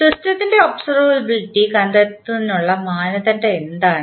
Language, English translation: Malayalam, What is the criteria to find out the observability of the system